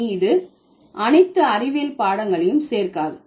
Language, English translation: Tamil, So, it doesn't include the science subjects anymore